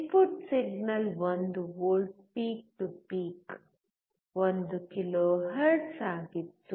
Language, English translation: Kannada, Input signal was 1 volt peak to peak 1 kilohertz